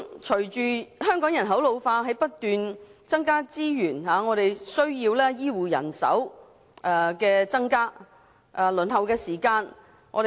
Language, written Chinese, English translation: Cantonese, 隨着香港人口老化，在不斷增加資源的同時，我們亦需增加醫護人手及縮短輪候時間。, In view of population ageing in Hong Kong as we continue to increase resources it is also necessary to recruit more health care personnel and shorten the waiting time